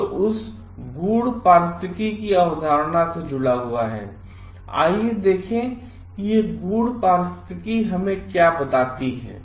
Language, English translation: Hindi, So, let us see what this deep ecology tells us